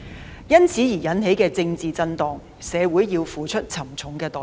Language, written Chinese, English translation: Cantonese, 對於由此引起的政治震盪，社會需要付出沉重代價。, The community will have to pay a heavy price for the political repercussions that ensue